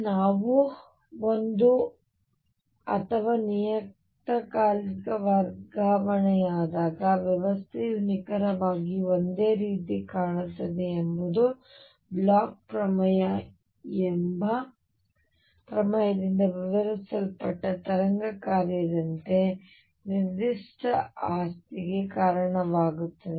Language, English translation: Kannada, That the system looks exactly the same when we shifted by a or the periodicity is going to lead to certain property as wave function which is described by a theorem called Bloch’s theorem